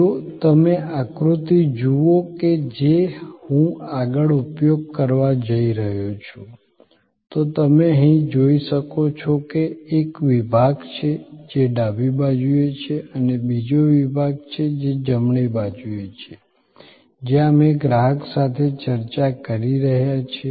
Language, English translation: Gujarati, If you look at the diagram that I am going to use next, you can see here that there is a section, which is on the left hand side and another section, which is on the right hand side, where we are interfacing with the customer